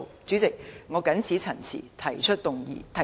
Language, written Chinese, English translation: Cantonese, 主席，我謹此陳辭，提出議案。, President with these remarks I move the motion